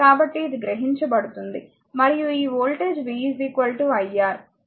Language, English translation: Telugu, So, it absorbed power and across this voltage is v, v is equal to iR